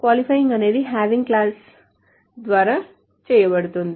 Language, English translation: Telugu, So the qualifying is done by the having clause